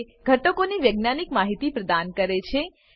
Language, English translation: Gujarati, It provides scientific information about elements